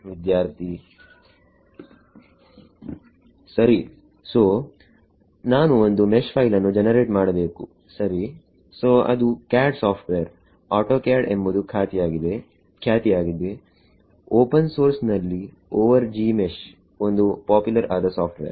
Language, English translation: Kannada, Right so, I need to generate a mesh file right so, that is CAD software autoCAD is a popular one in open source there is over Gmesh is one popular software